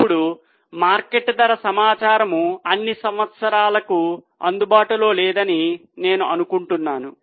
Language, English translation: Telugu, Now, I think market price information is not available for all the years